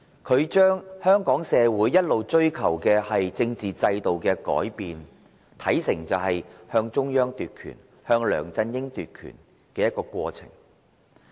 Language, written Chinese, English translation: Cantonese, 他將香港社會一直追求的政治制度改變，貶視為向中央、向梁振英奪權的過程。, He has degraded the pursuit of changes in the constitutional system by the community of Hong Kong to a process of seizing the power of the Central Authorities and LEUNG Chun - ying